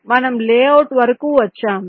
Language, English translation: Telugu, we have arrived at a layout